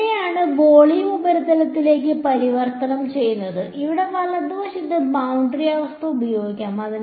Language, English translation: Malayalam, That is where so that volume has been converted to a surface and boundary condition will get applied on the right hand side over here ok